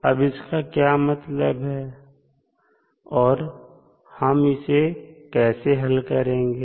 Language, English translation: Hindi, What does it mean, like how we will solve it